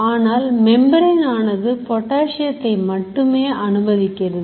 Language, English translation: Tamil, But the membrane is much more permeable to potassium